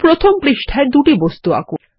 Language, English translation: Bengali, Draw two objects on page one